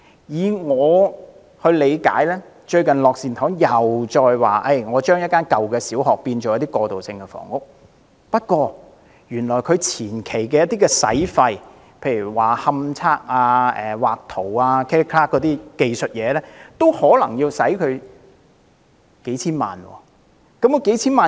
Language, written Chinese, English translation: Cantonese, 以我理解，樂善堂最近提出將一所舊小學改建為過渡性房屋，但當中有些前期費用，例如勘測和繪圖等技術工作，可能已經要花費數千萬元。, As I understand it Lok Sin Tong recently proposed to convert a primary school into transitional housing but the costs of preliminary technical work such as investigations and drawing of plans already amount to tens of million dollars